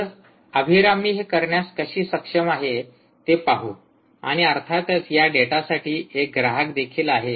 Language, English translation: Marathi, so let see how ah abhirami is able to do that and obviously there is a consumer for this data, right